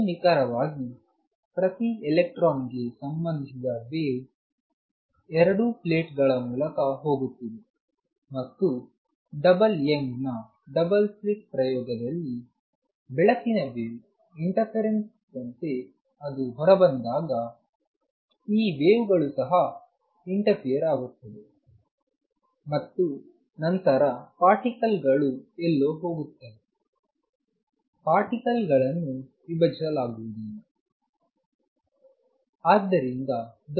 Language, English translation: Kannada, More precisely the wave associated each electron goes through both the plates and when it comes out just like light wave interference in the double Young's double slit experiment, these waves also interfere and then accordingly particle go somewhere, particle cannot be divided